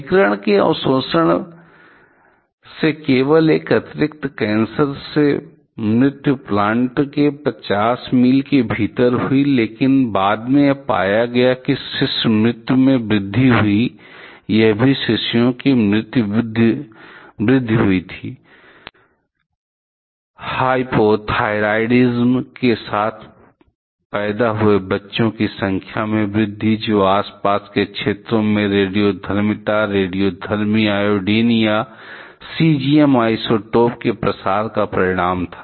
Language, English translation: Hindi, Only one additional cancer death from radiation absorption resulted within 50 miles of the plant, but later it was found that there is an increase in the infant death, also it was increase in babies; increase in number of babies born with hypothyroidism, which was the result of the spreading of radioactivity, radioactive iodine and cesium isotopes into the surrounding areas